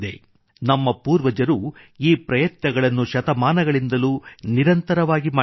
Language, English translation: Kannada, Our ancestors have made these efforts incessantly for centuries